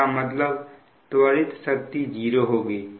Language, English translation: Hindi, that means accelerating power is zero